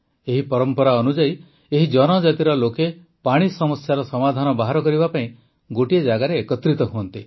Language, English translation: Odia, Under this tradition, the people of this tribe gather at one place to find a solution to the problems related to water